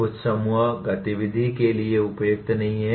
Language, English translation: Hindi, Some are not suitable for group activity